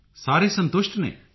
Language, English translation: Punjabi, All were satisfied